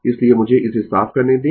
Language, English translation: Hindi, So, let me clear this